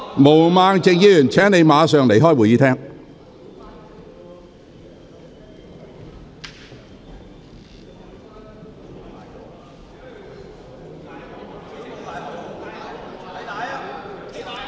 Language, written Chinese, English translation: Cantonese, 毛孟靜議員，請你立即離開會議廳。, Ms Claudia MO please leave the Chamber immediately